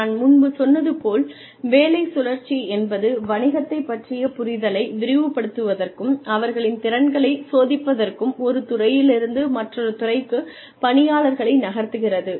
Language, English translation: Tamil, Like, I told you earlier, job rotation is moving people from, department to department, to broaden their understanding of the business, and to test their abilities